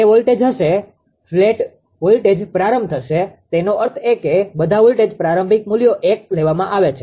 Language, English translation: Gujarati, It will be voltage plus voltage start; that means, that means all the all the all the voltages initial values are taken one